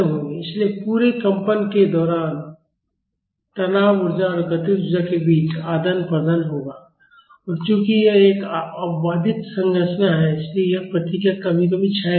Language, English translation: Hindi, So, throughout the vibration there will be an exchange between strain energy and kinetic energy and since this is an undamped structure, this response will never decay